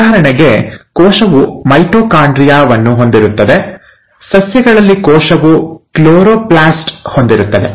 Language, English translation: Kannada, For example, the cell has mitochondria, the cell; in case of plants will have a chloroplast